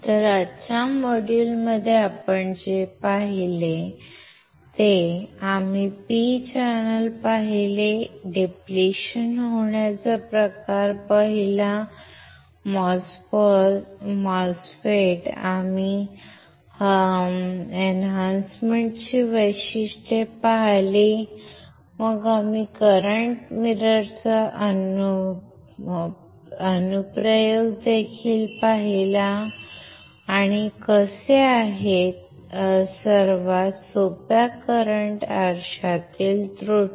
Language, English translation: Marathi, So, with this what we have seen we had in the today’s module, , we have seen P channel we have seen depletion type, MOSFET we have seen the transfer characteristics, then we have also seen the application of the current mirror, and how what are the errors in the simplest current mirror